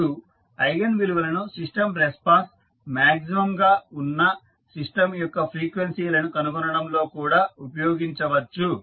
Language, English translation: Telugu, Now, eigenvalues can also be used in finding the frequencies of the system where the system response is maximum